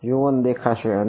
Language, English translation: Gujarati, U 1 will appear and